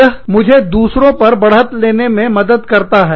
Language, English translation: Hindi, That helps me, get an advantage over the others